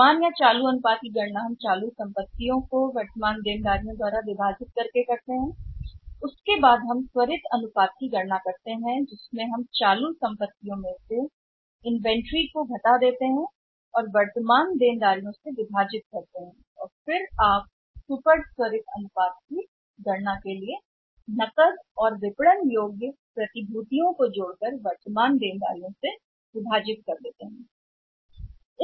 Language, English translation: Hindi, Current ratio when we calculate with a call current assets divided by current liabilities then we calculate the quick ratio we take current assets minus inventory and divided by current liabilities and then you take the quick ratio with take the cash plus marketable securities divided by current liabilities right